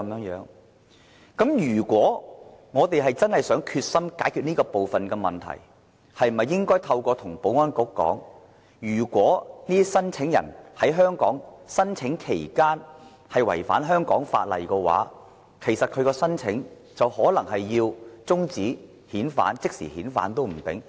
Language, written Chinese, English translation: Cantonese, 如果我們真的決心解決這方面的問題，是否應該向保安局提出，如果這些聲請人在香港申請期間違反香港法例的話，他的申請就可能要終止，甚至要即時遣返。, If they were earnestly trying to solve this problem is it not better for them to raise this to the Security Bureau? . Say any violation of the laws of Hong Kong during their stay will result in termination of their applications or even immediate deportation